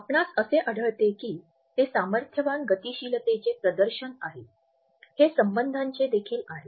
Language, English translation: Marathi, So, you would find that it is a display of the power dynamics, it is also a display of the relationship